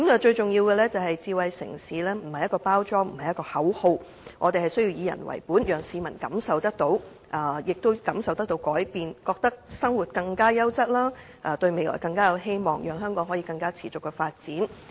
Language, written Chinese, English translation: Cantonese, 最重要的是，智慧城市並非一個包裝或口號，我們需要以人為本，讓市民感受到有改變，覺得他們的生活變得更加優質，對未來更有希望，讓香港可以更持續地發展。, Most importantly smart city is not a kind of packaging or a slogan . We need to be people - oriented in order that the people can feel the changes and they can feel that their living is of a better quality and hence they will have more hope for the future . And in this way the sustainable development of Hong Kong can be better enabled